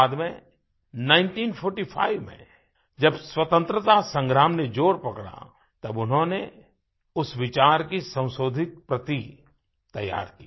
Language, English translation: Hindi, Later, in 1945, when the Freedom Struggle gained momentum, he prepared an amended copy of those ideas